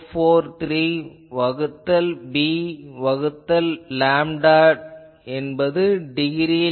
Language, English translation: Tamil, 443 by b by lambda in degrees